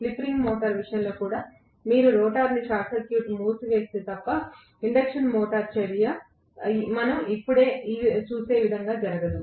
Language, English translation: Telugu, Even in the case of a slip ring induction motor, unless you close the rotor circuit the induction motor action itself will not take place as we would see just now